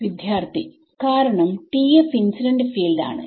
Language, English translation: Malayalam, Because TF is the incident field